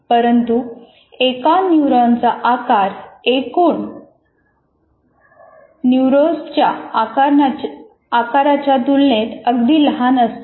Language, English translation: Marathi, But the body of the neuron is extremely small in size and compared in comparison to its total size